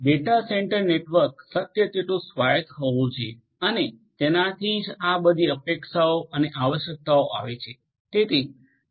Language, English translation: Gujarati, A data centre network should be as much autonomous as possible and that is why all these different expectations and requirements are coming up